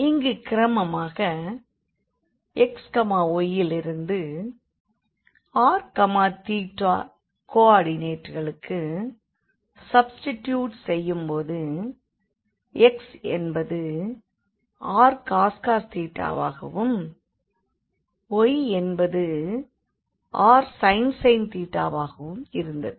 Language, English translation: Tamil, So, here also we have done eventually the substitution from xy to the r theta coordinates by this relation that x was r cos theta and y was sin theta